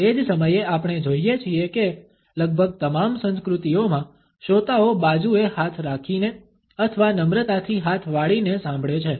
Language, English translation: Gujarati, At the same time we find that in almost all the cultures the listeners listen with hands by the side or hands folded politely